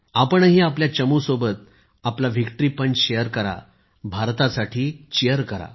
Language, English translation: Marathi, Do share your Victory Punch with your team…Cheer for India